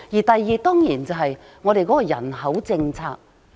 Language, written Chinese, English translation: Cantonese, 第二，當然是我們的人口政策。, Secondly it is definitely our population policy